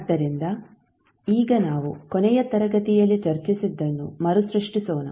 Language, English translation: Kannada, So, now let us recap what we discussed in the last class